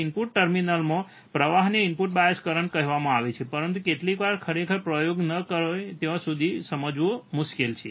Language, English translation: Gujarati, Flowing into the input terminals is called the input bias current, but sometimes it is difficult to understand until we really perform the experiment